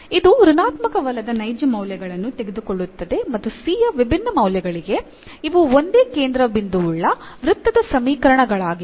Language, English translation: Kannada, So, it is taking non negative real values and for different different values of c, these are the equations of the circle of the same centre